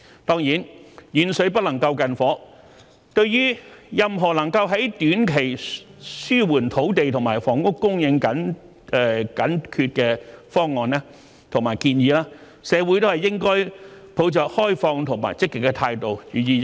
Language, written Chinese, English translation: Cantonese, 當然，"遠水不能救近火"，對於任何能夠在短期紓緩土地和房屋供應緊缺的方案和建議，社會都應抱着開放和積極的態度，予以認真考慮。, Certainly distant water cannot quench a fire nearby and the community should be open positive and serious in considering any plans or proposals that can alleviate the shortage of land and housing supply in the short term